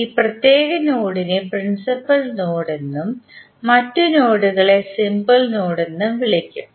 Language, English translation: Malayalam, This particular node would be called as principal node and rest of the other nodes would be called as a simple node